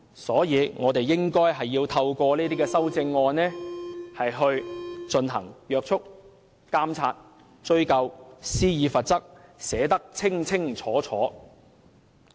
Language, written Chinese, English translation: Cantonese, 所以，我們應該透過修正案進行約束、監察、追究和施以罰則，全部也要寫得清清楚楚。, Hence we have to explicitly build up a mechanism of checking monitoring pursuing and penalizing in the Bill through proposing amendments to it